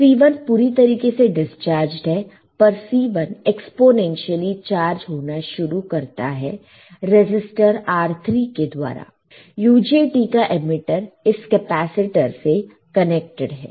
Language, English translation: Hindi, C1 is fully discharged C1 gets fully discharged, but begins to charge up exponentially through the resistors R3 right; this is the start exponentially through the R3, there is the emitter of the UJT is connected to the capacitor, right